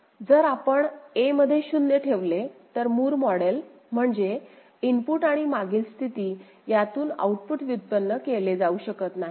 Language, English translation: Marathi, So, if you put inside a 0, Moore model means output cannot be generated from the input and previous state, is not it